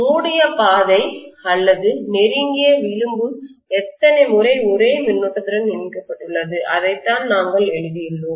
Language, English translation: Tamil, How many times the closed path or close contour is being linked with the same current, that is what we have written